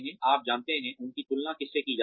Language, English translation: Hindi, You know, who are they been compared to